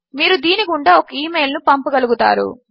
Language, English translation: Telugu, You will be able to send an email through that